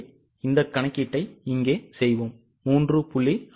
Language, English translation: Tamil, So, we will do this calculation here